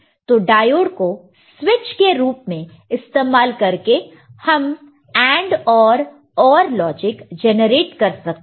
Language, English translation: Hindi, And we have seen the diode as a switch can be used to generate AND, OR logic